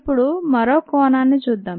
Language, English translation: Telugu, ok, now let us look at some other aspect